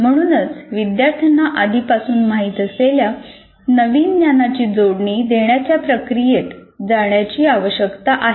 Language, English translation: Marathi, So you have to go through the process of linking the new knowledge to the what the students already knew